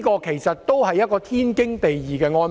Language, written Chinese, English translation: Cantonese, 其實，這也是天經地義的安排。, As a matter of fact this is also a perfectly justified arrangement